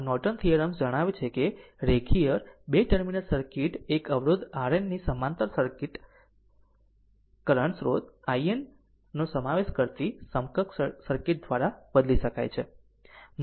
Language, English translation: Gujarati, So, Norton theorem states that a linear 2 terminal circuit can be replaced by an equivalent circuits consisting of a current source i N in parallel with a resistor R n